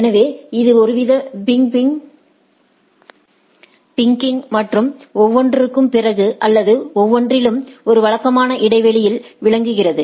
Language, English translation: Tamil, So, it is some sort of a pinging and after every or beaconing at every at a regular interval